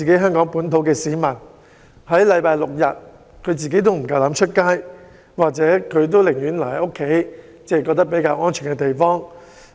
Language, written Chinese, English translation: Cantonese, 香港市民在星期六、日更是不敢外出，寧願留在家中或較安全的地方。, On Saturdays and Sundays people dare not go out and would rather stay home or at relatively safe places